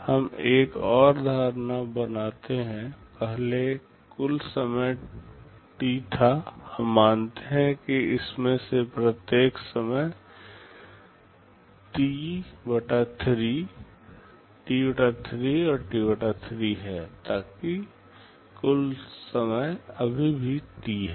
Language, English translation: Hindi, Let us make another assumption; the total time early was T, let us say for each of these time is T/3, T/3 and T/3, so that the total time still remains T